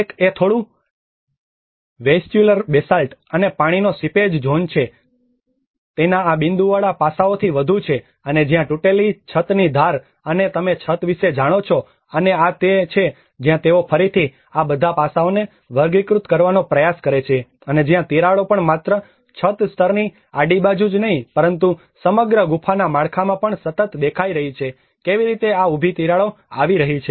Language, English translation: Gujarati, \ \ \ One is the slightly weathered vesicular basalt and also water seepage zones which are more of this dotted aspects of it and where the edge of the broken ceiling you know the roof, and this is where they try to again classify all these aspects and also where the cracks are also appearing continuously not only in a horizontal in the ceiling level but throughout the cave structure, how this vertical cracks are also coming up